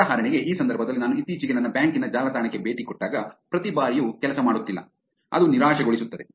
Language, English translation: Kannada, For example in this case every time I have been on my bank's website lately, it has not been working, frustrating